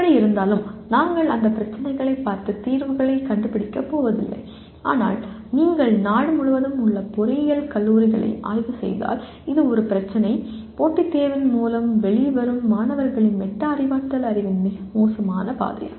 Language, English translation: Tamil, Anyway we are not going to look at those problems and finding out solutions but if you survey the engineering colleges across the country, it is one of the issues is the very poor state of metacognitive knowledge of the students that are coming out through the competitive exam route